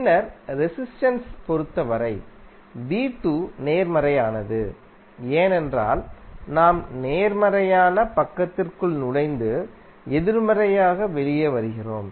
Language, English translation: Tamil, And then for the resistance, v¬2¬ is positive because we are entering into the positive side and coming out of negative